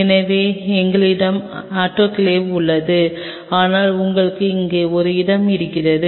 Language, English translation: Tamil, So, we have the autoclave here, but then you have a space out there